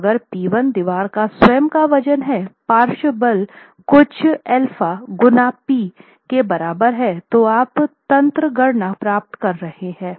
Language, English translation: Hindi, So, if P1 is the self weight of the wall itself at a lateral force equal to some alpha times p you are getting the mechanism formation